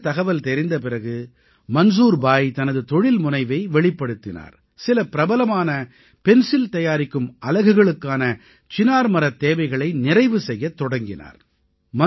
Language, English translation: Tamil, After getting this information, Manzoor bhai channeled his entrepreneurial spirit and started the supply of Poplar wooden boxes to some famous pencil manufacturing units